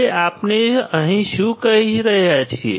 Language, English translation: Gujarati, Now what we are saying here